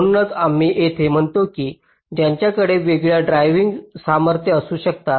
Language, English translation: Marathi, thats why we say here is that they can have different drive strengths